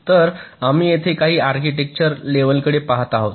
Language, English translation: Marathi, so we look at some of the architecture level approaches here